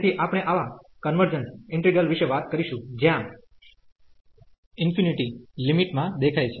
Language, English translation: Gujarati, So, we will be talking about the convergence of such integrals where infinity appears in the in the limit